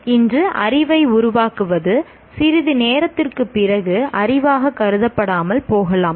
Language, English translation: Tamil, So what constitutes knowledge today, we may not consider it as knowledge maybe sometime after some time